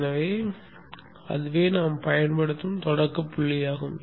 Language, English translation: Tamil, So that is our starting point that we will use